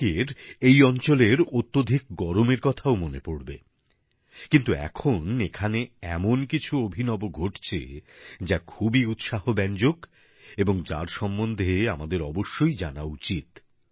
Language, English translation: Bengali, And some people will also remember the extreme heat conditions of this region, but, these days something different is happening here which is quite heartening, and about which, we must know